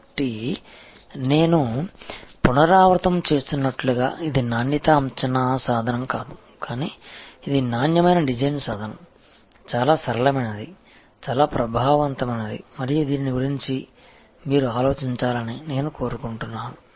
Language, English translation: Telugu, So, as I will repeat this is not a quality assessment tool, but it is a quality design tool, very simple, very effective and I would like you to think about this